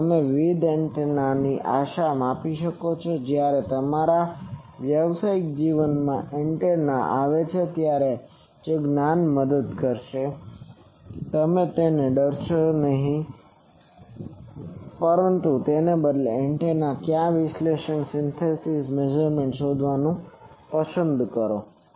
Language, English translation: Gujarati, Also you can measure various antennas hope that will this knowledge will help you whenever antenna comes in your professional life, you would not fear it rather you will love to explore that antennas either analysis synthesis measurement etc